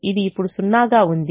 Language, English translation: Telugu, so we should have a zero